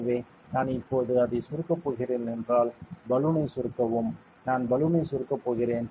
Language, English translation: Tamil, So, if I am going to compress it now compress the balloon see I am going to compress the balloon